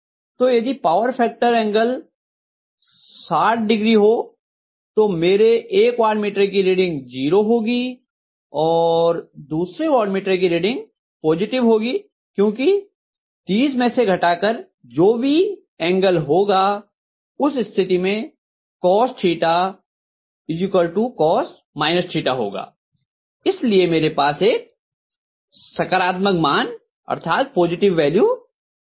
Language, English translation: Hindi, So if the power factor angle happens to be 60, I will have one of the watt meter reading to be 0 and the other watt meter reading will have a value which is positive because 30 minus whatever is the angle cos of theta equal to cos of minus theta so I will have a positive value